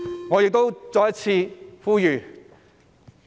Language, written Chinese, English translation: Cantonese, 我亦再次作出呼籲。, Let me make this appeal again